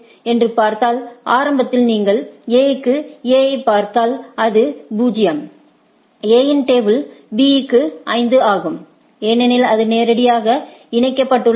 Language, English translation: Tamil, Initially, if you look at A for A it what is see that to itself is 0 A’s table, to B is 5 because, that is directly connected